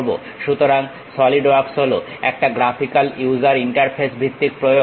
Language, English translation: Bengali, So, Solidworks is a graphical user interface based application